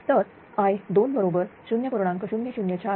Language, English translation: Marathi, So, i 2 is equal to 0